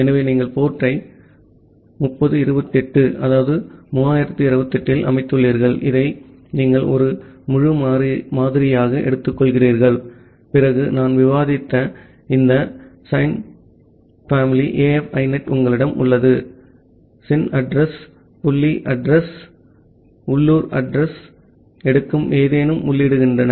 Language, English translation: Tamil, So, you setup the port at 3028 which is you are taking it as an integer variable then you have this sin family AF INET that I have discussed, sin address dot addresses inaddr any to take the local address